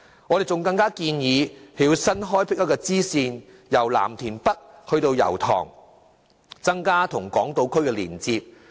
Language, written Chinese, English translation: Cantonese, 我們還建議新開闢一條支線，由藍田北至油塘，增加與港島區的連接。, We also recommend that a new rail line extending from Lam Tin North to Yau Tong be developed to enhance connection with Hong Kong Island